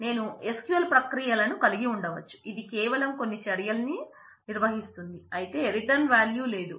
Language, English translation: Telugu, I can have SQL procedures which just performs some action, but does not have a have a return value so to say